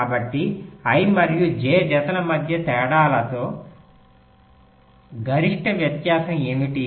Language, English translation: Telugu, so what is the maximum difference in the delays between any pair of i and j